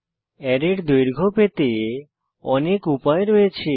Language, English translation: Bengali, There are many ways by which we can find the length of an array